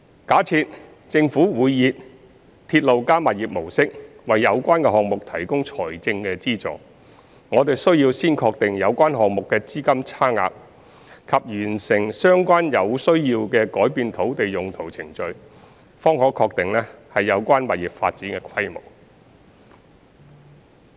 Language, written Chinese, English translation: Cantonese, 假設政府會以"鐵路加物業"模式為有關項目提供財政資助，我們需要先確定有關項目的資金差額及完成相關有需要的改變土地用途程序，方可確定有關物業發展的規模。, Assuming that the Government will provide funding support for the relevant projects using the RP model we will need to determine the funding gap of the relevant project first and complete the relevant procedures for change of land use if necessary before confirming the scale of the relevant property development